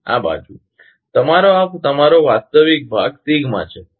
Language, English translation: Gujarati, And this side, your this is your real part is sigma